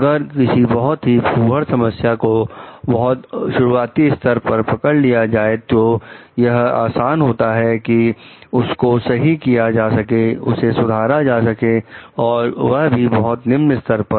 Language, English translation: Hindi, Because, if a problem is squat at an very early stage, it is easier to solve also, it can be solved at very maybe lower level